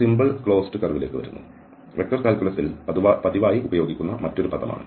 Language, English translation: Malayalam, So, coming to the simple closed curve, another terminology which frequently used in vector calculus